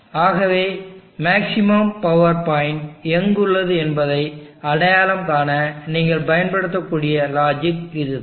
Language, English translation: Tamil, So this is the logic that you could use to identify where the peak power point or the maximum power point lies